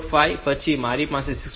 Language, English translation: Gujarati, 5 I have 6